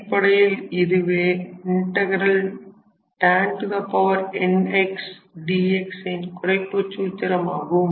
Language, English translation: Tamil, So, this will be the reduction formula for cot n x d x